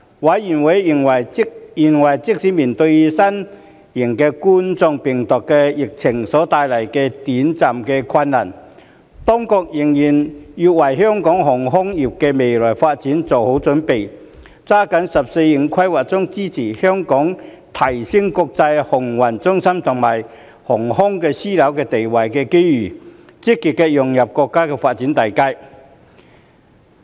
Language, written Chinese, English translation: Cantonese, 委員認為即使面對新型冠狀病毒疫情所帶來的短期困難，當局仍然要為香港航空業的未來發展做好準備，抓緊"十四五"規劃中支持香港提升國際航運中心和航空樞紐地位的機遇，積極融入國家發展大局。, Members considered that despite immediate difficulties brought about by the novel coronavirus pandemic the Administration should continue to prepare for the future development of Hong Kongs aviation industry and seize the opportunities presented by the 14th Five - Year Plan to support Hong Kong in enhancing its status as an international maritime centre and aviation hub so as to proactively integrate into the overall development of our country